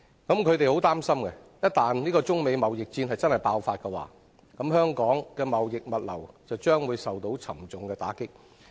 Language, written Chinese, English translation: Cantonese, 我們相當擔心，一旦中美貿易戰爆發，香港的貿易物流業將會大受打擊。, We are very concerned that Hong Kongs trading and logistics industry will be devastated in the event of a China - United States trade war